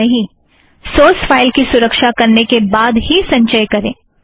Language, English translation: Hindi, Remember to save the source file before compiling